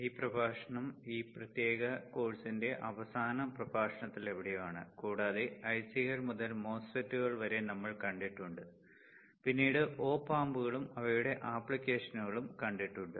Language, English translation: Malayalam, This lecture is somewhere in the second last lecture of this particular course and we have reached to the point that we have seen somewhere from ICS to MOSFETS followed by the op amps and their application